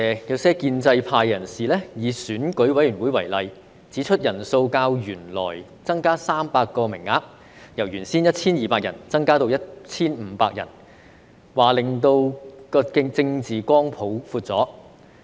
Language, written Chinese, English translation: Cantonese, 有些建制派人士以選舉委員會為例，指出人數較原來增加300名，由原先的 1,200 人增至 1,500 人，令政治光譜擴闊了。, Some members from the pro - establishment camp cite the example of the Election Committee EC saying that the increase of the number of members by 300 from the existing 1 200 to 1 500 has widened the political spectrum